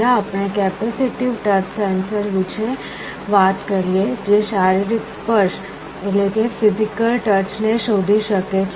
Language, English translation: Gujarati, First let us talk about capacitive touch sensor that can detect physical touch